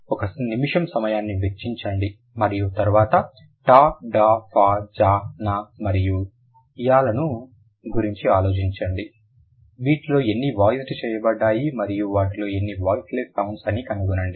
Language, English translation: Telugu, Take a minute's time and then think about, t, d, s, z, n, and l, how many of them are voiced and how many of them are voiceless